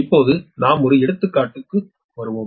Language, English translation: Tamil, now take one example